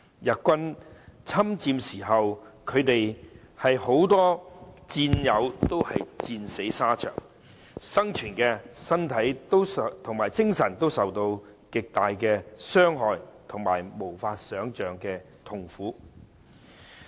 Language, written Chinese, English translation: Cantonese, 日軍侵佔香港時，他們有很多戰友戰死沙場；生存下來的，身體及精神都受到極大的傷害及無法想象的痛苦。, Many of their comrades - in - arms died in battle during the Japanese invasion of Hong Kong and those who survived suffered tremendous injury and unimaginable pain both physically and mentally